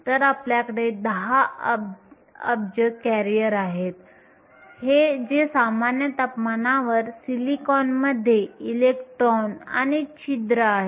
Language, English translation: Marathi, So, we have 10 billion careers that is electrons in holes in silicon at room temperature